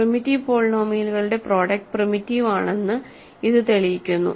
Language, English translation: Malayalam, So, this proves that product of primitive polynomials is primitive